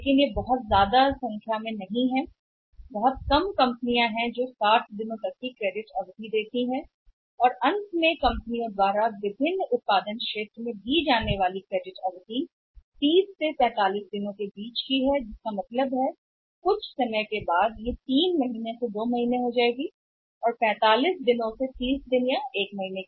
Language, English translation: Hindi, But that they are not miss large in number very few companies are even giving the credit period up to 60 days and lastly the credit period given by the companies in the different manufacturing sectors is somewhere 30 to 45 days which means over a period of time it has come down for 3 months to 2 months to 45 days and 45 days to 30 days 1 month